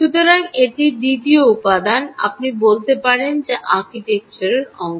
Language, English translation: Bengali, so this is the second element you can say which is part of the architecture